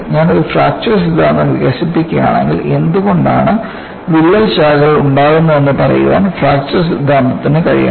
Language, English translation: Malayalam, If I develop a fracture theory, the fracture theory should be able to say why a crack branches out